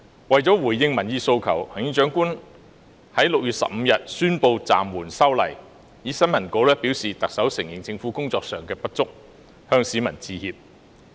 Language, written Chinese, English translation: Cantonese, 為了回應民意訴求，行政長官在6月15日宣布暫緩修例，透過新聞稿承認政府在工作上有所不足，向市民致歉。, To address public opinions and aspirations the Chief Executive announced suspension of the amendment exercise on 15 June admitting the deficiency in the Governments work and apologizing to members of the public through the press release